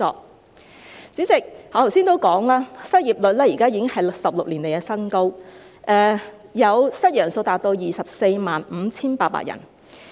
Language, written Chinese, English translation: Cantonese, 代理主席，我剛才提到，失業率現在已是16年來的新高，失業人數達 245,800 人。, Deputy President earlier on I mentioned that the current unemployment rate is a record high in 16 years with as many as 245 800 people out of jobs and I also mentioned the situation of street sleepers